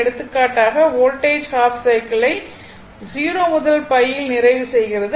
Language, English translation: Tamil, For example, voltage it is completing half cycle in pi 0 to pi